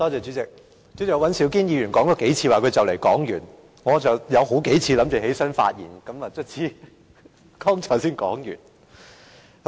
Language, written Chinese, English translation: Cantonese, 主席，尹兆堅議員說了幾次即將說完，我有好幾次預備起來發言，剛才他才終於說完。, President Mr Andrew WAN said a few times that he would stop and I almost stood up for a few times to speak . Now he has finally completed his speech